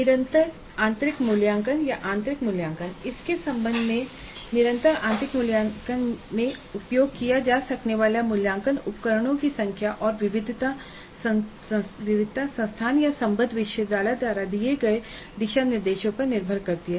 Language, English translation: Hindi, The continuous internal evaluation or internal assessment, with respect to this, the number of assessment instruments that can be used in continuous internal assessment and the variety of assessment instruments allowed depend on the guidelines provided by the institute or affiliating university